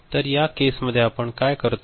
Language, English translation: Marathi, So, in this case for, what we do